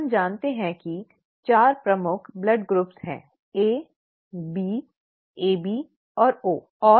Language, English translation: Hindi, We know that there are 4 major blood groups, what, A, B, AB and O, right